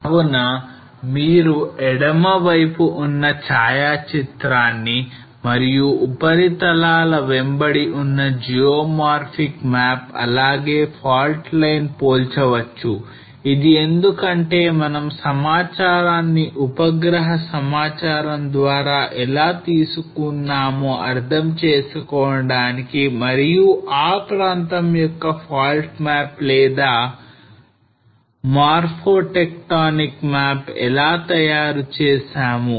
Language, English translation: Telugu, So you can compare the photograph on the left and the geomorphic map along with the surfaces as well as the fault line to understand that how we have extracted the information using the satellite data and prepare our fault map or morphotectonic map of that particular region